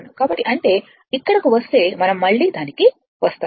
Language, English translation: Telugu, So, that means, if you come here we will come to that again